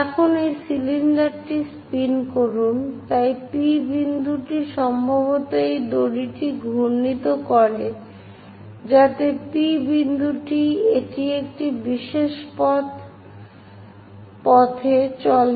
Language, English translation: Bengali, Now, spin this cylinder, so the point P are perhaps wind this rope, so that point P it moves on a specialized path